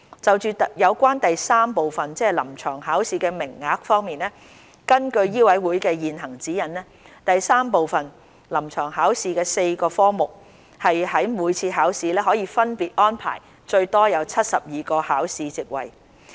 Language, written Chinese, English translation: Cantonese, 就有關第三部分：臨床考試的名額方面，根據醫委會的現行指引，第三部分：臨床考試的4個科目於每次考試可分別安排最多72個考試席位。, Regarding the quota for Part III―The Clinical Examination according to the current guidelines of MCHK the maximum capacity for each of the four disciplines is 72 candidates per sitting